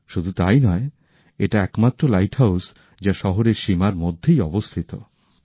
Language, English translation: Bengali, Not only this, it is also the only light house in India which is within the city limits